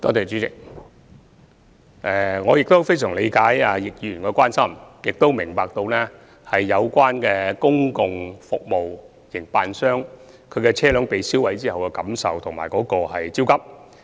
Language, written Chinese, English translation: Cantonese, 主席，我非常理解易議員的關心，也明白公共服務營辦商被燒毀車輛後的感受和焦急。, President I appreciate Mr YIUs concern very much . I also understand the feelings and anxieties of the public transport service operators after their vehicles were burnt